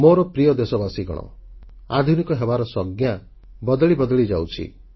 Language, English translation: Odia, My dear countrymen, definitions of being modern are perpetually changing